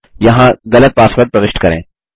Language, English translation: Hindi, Let us enter a wrong password here